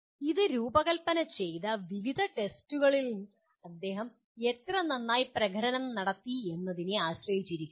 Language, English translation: Malayalam, It depends on how well he has performed in various tests that have been designed